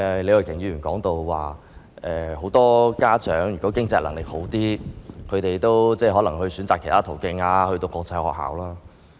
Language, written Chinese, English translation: Cantonese, 李慧琼議員剛才提到，很多家長如果經濟能力較好，可能會選擇其他途徑，讓子女讀國際學校。, Ms Starry LEE has said just now that parents who have the financial means will make other choices such as sending their children to international schools . Her remark really reflects the aspirations of many parents